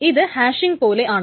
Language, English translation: Malayalam, It's almost like hashing